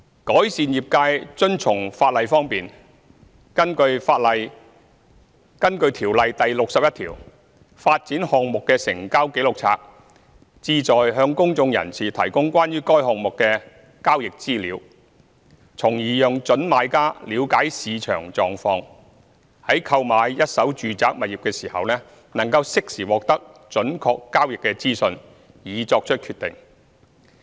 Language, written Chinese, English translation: Cantonese, 改善業界遵從法例方面，根據《條例》第61條，發展項目的成交紀錄冊旨在向公眾人士提供關於該項目的交易資料，從而讓準買家了解市場狀況，在購買一手住宅物業時能適時獲得準確交易資訊，以作出決定。, On enhancing the trades compliance with the Ordinance section 61 of the Ordinance states that the purpose of Register of Transactions of a development is to provide a member of the public with the transaction information relating to the development for understanding the market conditions . Prospective purchasers can thus get accurate transaction information timely to make a decision when purchasing first - hand residential properties